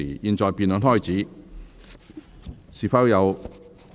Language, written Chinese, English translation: Cantonese, 現在辯論開始，是否有委員想發言？, The debate now commences . Does any Member wish to speak?